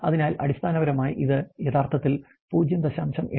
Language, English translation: Malayalam, So, basically this actually represents 0